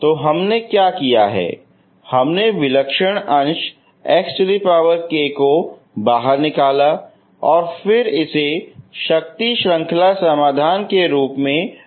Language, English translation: Hindi, So what we did is so we we we brought out this singular part as x power k and then you multiply this as a power series solution